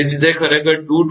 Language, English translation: Gujarati, So, it is actually 223